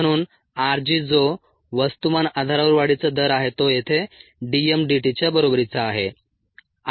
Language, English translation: Marathi, therefore, r g, which is the growth rate on a mass basis, equals d m, d t